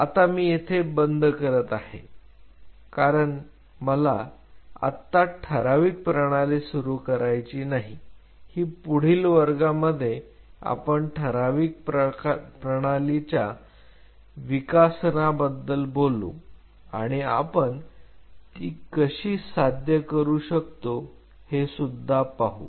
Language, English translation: Marathi, What I will do I will close in here because I do not want to start the defined system just now in the next class we will talk about what led to the development of defined system and how we can achieve a defined system